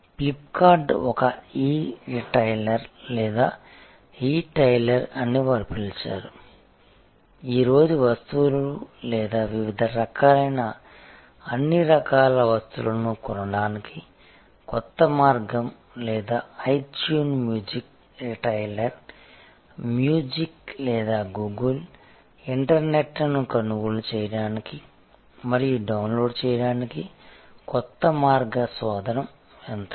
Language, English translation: Telugu, Flip kart is an E retailer or E tailer as they called, new way to buy goods or different other kinds of all kinds of goods today or itune a music retailer, new way of buying and downloading music or Google, the internet search engine